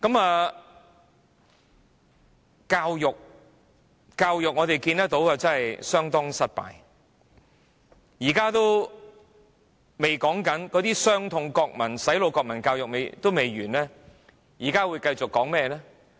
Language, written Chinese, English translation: Cantonese, 在教育方面，我們看到教育政策相當失敗，那些"洗腦"的國民教育仍未完結，現在會繼續說甚麼？, In terms of education we see that the education policy is a failure and the brain - washing national education is still going on . And now what will we talk about?